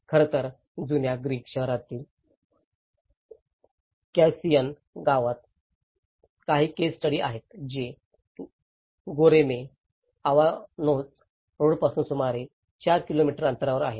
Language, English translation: Marathi, In fact, there are some of the case studies in Cavusin village in the old Greek town which is about 4 kilometres from the Goreme Avanos road